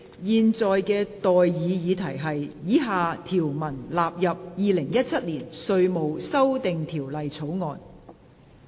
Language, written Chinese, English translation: Cantonese, 現在的待議議題是：以下條文納入《2017年稅務條例草案》。, I now propose the question to you and that is That the following clauses stand part of the Inland Revenue Amendment Bill 2017